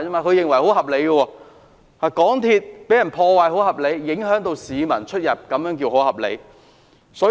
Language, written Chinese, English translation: Cantonese, 可是，港鐵遭受破壞，影響市民出行，這樣也算合理嗎？, Yet the destruction of MTR stations has caused travel inconvenience to members of the public so how can this act be regarded as reasonable?